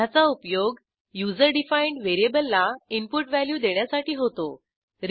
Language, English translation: Marathi, It can also be used to assign an input value to a user defined variable